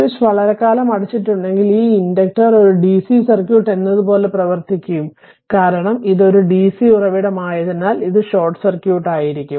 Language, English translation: Malayalam, If the switch is closed for long time, that inductor will behave as a short circuit and for the capacitor it will behave as a for dc that open circuit